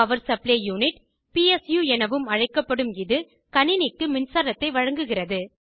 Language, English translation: Tamil, Power Supply Unit, also called PSU, supplies power to the computer